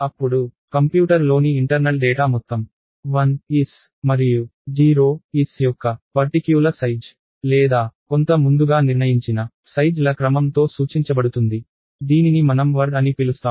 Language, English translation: Telugu, Then, all the data internal to the computer is actually represented as a sequence of 1s and 0s of some particular size or some predetermine size, which we will call word